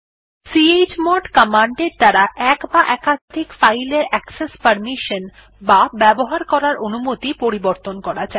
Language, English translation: Bengali, chmod command is used to change the access mode or permissions of one or more files